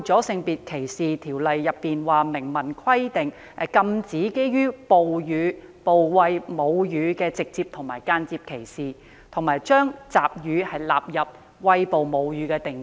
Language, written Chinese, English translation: Cantonese, 《性別歧視條例》明文規定，禁止對餵哺母乳的婦女的直接或間接歧視，並將集乳包括在餵哺母乳的定義內。, SDO expressly prohibits direct or indirect discrimination against breastfeeding women and the definition of breastfeeding includes milk collection